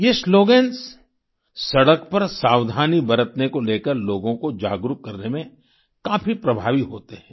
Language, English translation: Hindi, ' are quite effective in promoting awareness about being careful on the roads